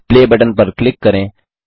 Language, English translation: Hindi, Click the Play button